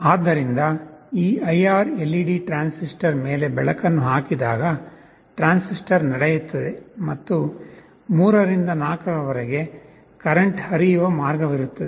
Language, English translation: Kannada, So, whenever this IR LED throws a light on this transistor, the transistor conducts and there will be a current flowing path from 3 to 4